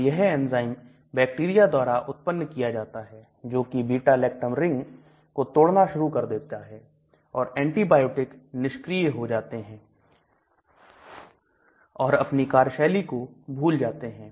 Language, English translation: Hindi, So that enzyme produced by the bacteria start breaking this beta lactam thereby the antibiotic becomes ineffective or it loses its activity